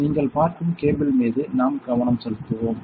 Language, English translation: Tamil, So, this cable that you see let me let us focus there